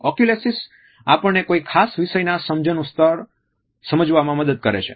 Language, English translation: Gujarati, Oculesics help us to understand what is the level of comprehension of a particular topic